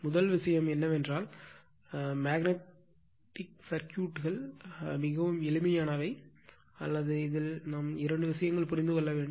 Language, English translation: Tamil, First thing is that magnetic circuit we will find things are very simple, only one or two things we have to understand